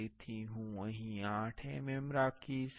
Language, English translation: Gujarati, So, I will keep 8 mm here